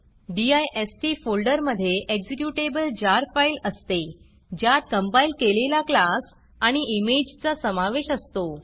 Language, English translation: Marathi, The dist folder contains an executable JAR file that contains the compiled class and the image